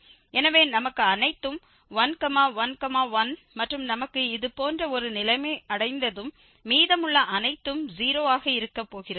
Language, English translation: Tamil, So, all our 1, 1, 1 and once we get such a situation rest all going to be 0